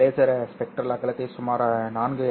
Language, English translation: Tamil, This laser has a spectral width of about 4 nanometers